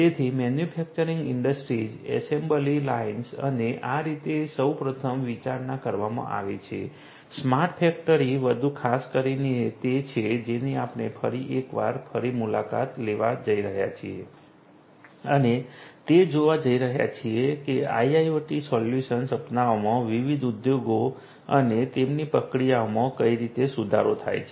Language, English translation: Gujarati, So, manufacturing industries they assembly lines and so on is the first one to be considered, smart factory more specifically is what we are going to revisit once again and look at which different industries have in adopting IIoT solutions and how their processes have improved consequently